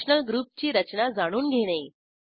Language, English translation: Marathi, * Know the structure of functional group